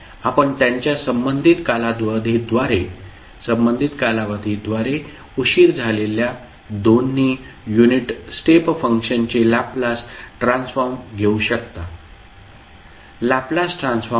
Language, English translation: Marathi, You can just take the Laplace transform of both of the unit step function delayed by their respective time period